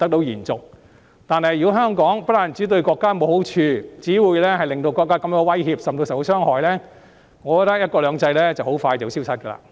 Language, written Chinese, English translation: Cantonese, 然而，如果香港不但對國家沒有好處，更只令國家感到威脅，甚至受到傷害，"一國兩制"便很快會消失。, However if Hong Kong brings no good to our country but only makes our country feel threatened or even hurt one country two systems will soon disappear